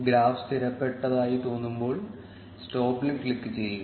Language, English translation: Malayalam, When the graph seems stabilized, click on stop